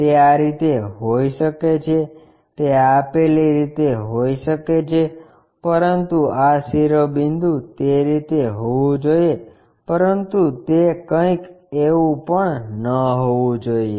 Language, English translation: Gujarati, It might be in that way, it might be in that way, but this apex has to be in that way, but it should not be something like that